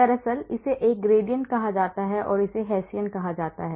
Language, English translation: Hindi, Actually, this is called a gradient and this is called a Hessian